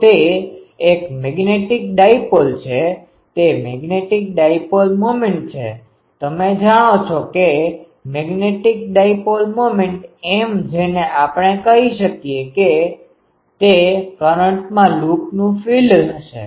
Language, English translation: Gujarati, So, it is a magnetic dipole its magnetic dipole moment you know that magnetic dipole moment M that we can say will be the area of the loop into the current